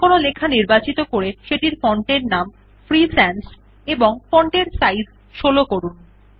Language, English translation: Bengali, Select some text and change its font name to Free Sans and the font size to 16